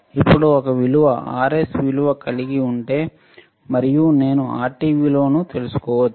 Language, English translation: Telugu, Now, if there is there is a value then I can have value of R s and I can make value of Rt